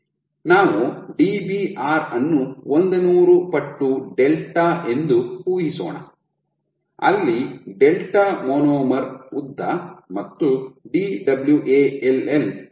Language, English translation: Kannada, So, let us assume Dbr as 100 times delta where delta is monomer length and Dwall is 10 delta